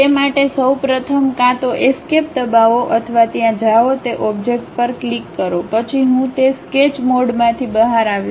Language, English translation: Gujarati, First of all for that either press escape or go there click that object, then I came out of that Sketch mode